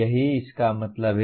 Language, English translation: Hindi, That is what it means